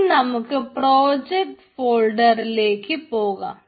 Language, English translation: Malayalam, now we need to go to that project folder